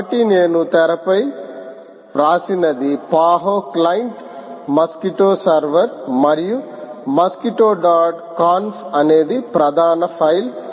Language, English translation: Telugu, so what i wrote on the screen is paho client, mosquito server and mosquito dot conf being the main file